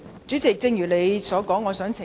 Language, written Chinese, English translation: Cantonese, 主席，因應你的說法，我想要求澄清。, President I would like to seek elucidation in respect of what you have said